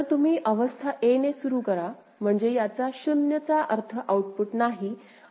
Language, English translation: Marathi, So, you begin with state a, this 0 means no output, output is 0